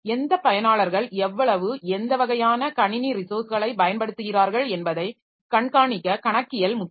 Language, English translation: Tamil, Then accounting to keep track of which users use how much and what kinds of computer resources